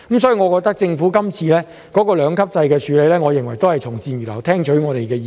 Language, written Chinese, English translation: Cantonese, 所以，政府提出今次這個兩級制的建議，我認為是政府從善如流，有聽取我們的意見。, So I think the Governments proposal of this two - tier structure shows that it has heeded and readily accepted our views